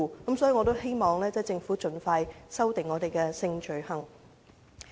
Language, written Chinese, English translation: Cantonese, 因此，我希望政府盡快修訂香港有關性罪行的法例。, For this reason I hope the Government will amend the laws relating to sexual offences in Hong Kong as soon as possible